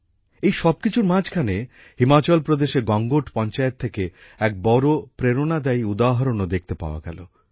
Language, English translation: Bengali, In the midst of all this, a great inspirational example was also seen at the Gangot Panchayat of Himachal Pradesh